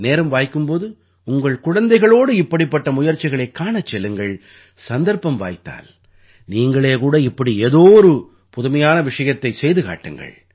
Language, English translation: Tamil, Take out some time and go to see such efforts with children and if you get the opportunity, do something like this yourself